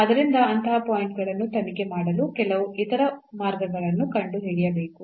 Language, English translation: Kannada, So, one has to find some other ways to investigate such points